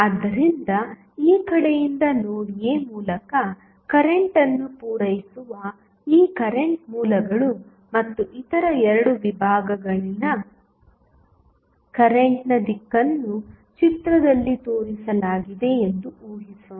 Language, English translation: Kannada, So, this current sources supplying current through node A from this side and let us assume that the direction of current in other 2 segment is has shown in the figure